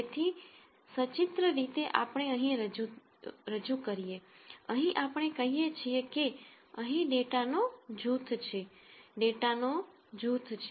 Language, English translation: Gujarati, So, pictorially we represent here, here we say, here is a group of data, here is a group of data